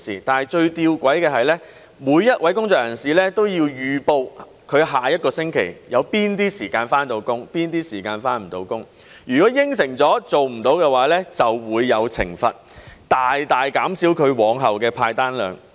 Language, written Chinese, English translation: Cantonese, 但最吊詭的是，每位工作人士都要預報他下一個星期有哪些時間可以上班，哪些時間無法上班。如果應承了而做不到的話，便會有懲罰，大大減少他往後的派單量。, But the most paradoxical point is that each worker must register in advance the time slots available for work or otherwise in the following week and if he breaks his promise the number of orders to be assigned to him in the days ahead will be significantly reduced as a penalty